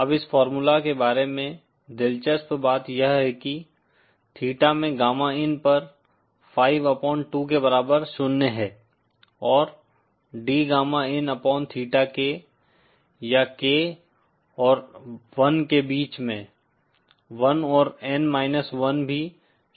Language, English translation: Hindi, Now the interesting thing about this formula is that gamma in at theta is equal to 5 upon 2 is zero and D gamma in upon D theta K, or K between one and N minus one, is also equal to zero